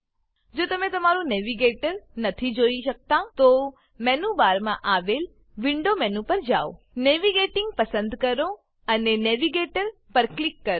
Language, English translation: Gujarati, If you cannot view your Navigator, go to the Window menu in the menu bar, choose Navigating and click on Navigator